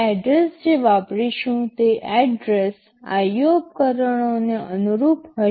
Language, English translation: Gujarati, The address to be used will be the address corresponding to the IO devices